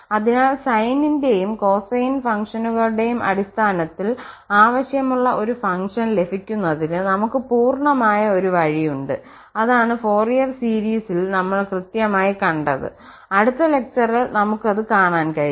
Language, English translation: Malayalam, So, we have a full flexibility of getting a desired function in terms of the sine and the cosine functions and that is what we will exactly do in the Fourier series, in the next lecture we will observe that